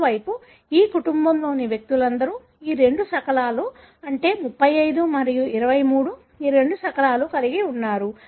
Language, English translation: Telugu, On the other hand, all the individuals of this family were having these two fragments, that is 35 and 23, these two fragments